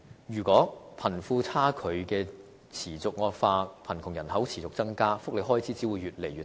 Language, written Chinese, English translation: Cantonese, 如果貧富差距持續惡化，貧窮人口持續增加，福利開支只會越來越大。, A widening wealth gap and increasing poverty population will only lead to higher welfare expenses